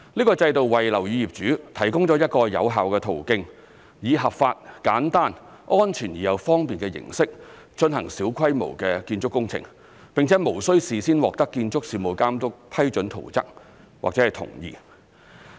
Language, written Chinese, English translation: Cantonese, 該制度為樓宇業主提供一個有效的途徑，以合法、簡單、安全而又方便的形式進行小規模建築工程，並且無須事先獲得建築事務監督批准圖則或同意。, It provides an effective way for building owners to carry out small - scale building works in a lawful simple safe and convenient way without the need to obtain prior approval of plans and consent from the Building Authority